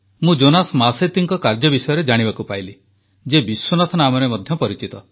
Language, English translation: Odia, I got an opportunity to know about the work of Jonas Masetti, also known as Vishwanath